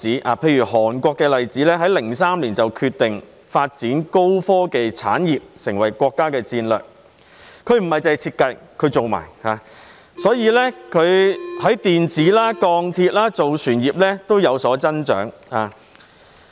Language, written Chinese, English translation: Cantonese, 南韓在2003年決定發展高科技產業作為國家戰略，涵蓋設計及製造各個層面，在電子、鋼鐵、造船業均有所增長。, South Korea has formulated a national strategy on developing high - tech industries in 2003 covering all levels of design and manufacturing . The strategy has driven growth in the electronics iron and steel and shipbuilding industries